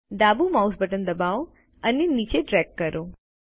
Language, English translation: Gujarati, Press the left mouse button and drag it down